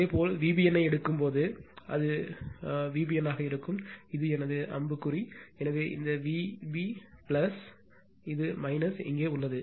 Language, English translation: Tamil, Similarly, when you take V b n, so it will be V b n right this is my arrow, so this V b plus, so this is here minus